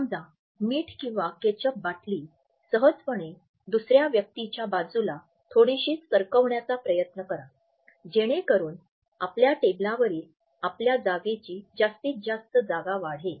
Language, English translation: Marathi, Suppose this is a salt shaker or ketchup bottle unconsciously try to put it slightly over this side of the other person so, that the space on your side of the table is maximized